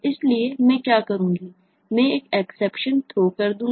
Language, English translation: Hindi, i will throw an exception